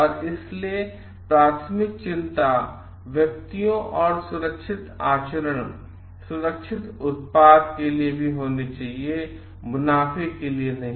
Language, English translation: Hindi, So, and persons and the safe conducts, safe products should be the primary concern and not for profits